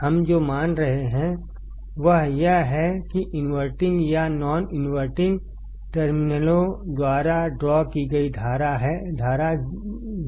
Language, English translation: Hindi, What we are assuming is that the current drawn by inverting or non inverting terminals is 0